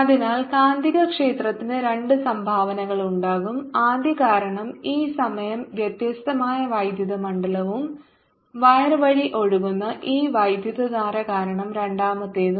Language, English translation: Malayalam, so there will be two contribution to magnetic field, first due to this time varying electric field and the second due to this current which is flowing through the wire